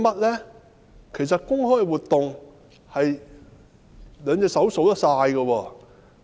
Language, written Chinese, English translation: Cantonese, 他們的公開活動，兩隻手可以數完。, Its public activities can be counted on the fingers of one hand